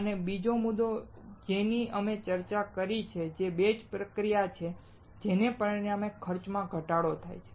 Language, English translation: Gujarati, That is the second point that we discussed, which is batch processing resulting in cost reduction